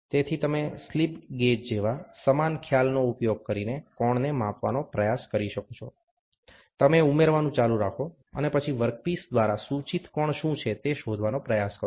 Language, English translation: Gujarati, So, you can try to measure the angle using the same concept like slip gauges, you keep adding and then, try to figure out what is the angle which is their subtended by the work piece